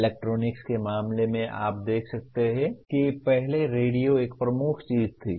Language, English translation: Hindi, In the case of electronics you can see earlier radio was a dominant thing